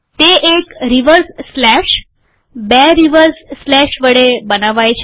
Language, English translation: Gujarati, It is created by a reverse slash, two reverse slash